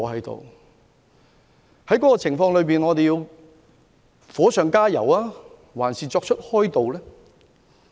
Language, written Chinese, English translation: Cantonese, 在這個情況下，我們究竟要火上加油，抑或加以開導？, Under such circumstances should we add fuel to the fire or should we ameliorate the situation?